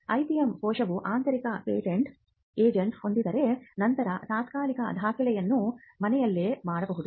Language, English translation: Kannada, If the IPM cell has an in house patent agent, then the filing of the provisional can be done in house itself